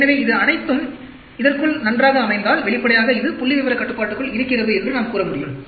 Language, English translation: Tamil, So, if it is all lying within this nicely, obviously, we can say it is within statistical control